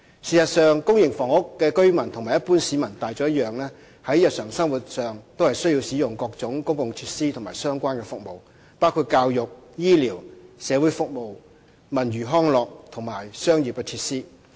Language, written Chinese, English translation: Cantonese, 事實上，公營房屋的居民和一般市民大眾一樣，在日常生活上，需要使用多種公共設施和相關服務，包括教育、醫療、社會服務、文娛康樂及商業設施。, In fact like the general public public housing residents require a variety of public facilities and relevant services including education health care social services cultural and recreational facilities and commercial facilities in their daily life